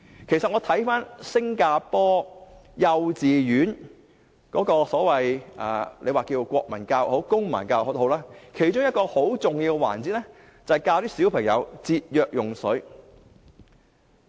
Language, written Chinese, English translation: Cantonese, 其實在新加坡的幼稚園裏，大家稱為國民教育或公民教育也好，其中一個很重要的環節是教小朋友節約用水。, Indeed in the kindergartens in Singapore one important element―one may call it national education or civic education―is to teach children to save water